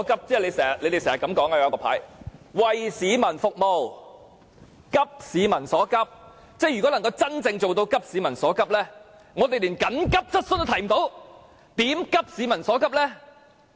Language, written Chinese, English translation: Cantonese, 他們經常擺放的牌是這樣寫的："為市民服務急市民所急"，如果要真正做到急市民所急，但我們連急切質詢也無法提出，如何急市民所急呢？, Such phrases of serving the public and addressing the pressing needs of the public can often be seen in their banners . If we really want to address the pressing needs of the public but are unable to raise any urgent questions how can we achieve this goal?